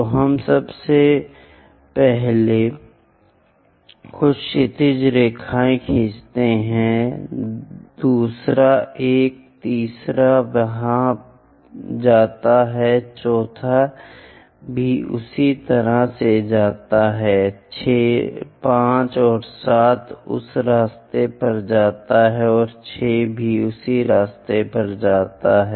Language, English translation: Hindi, So, let us draw few horizontal lines first one, second one, third one goes there, fourth one also goes in that way 5 and 7 goes in that way and 6 also goes in that way